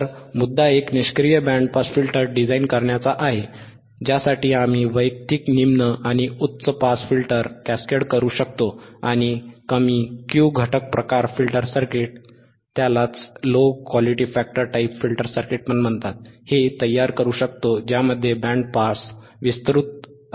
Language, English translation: Marathi, So, the point is for designing a passive band pass filter, passive band pass filter, for which we can cascade the individual low and high pass filters and produces a low Q factor typical type of filter circuit which has a wideband pass, which has a wide pass